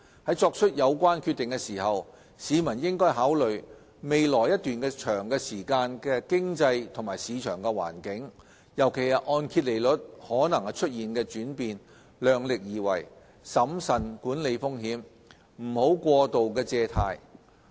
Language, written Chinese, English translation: Cantonese, 在作出有關決定時，市民應考慮未來一段長時間的經濟及市場環境，尤其是按揭利率可能出現的轉變，量力而為，審慎管理風險，不要過度借貸。, They must be mindful of their ability to cope with the potential risk that may arise from possible changes in the economic and market conditions as well as mortgage interest rates and do not overstretch themselves